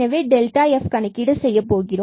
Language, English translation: Tamil, So, we need to compute the fx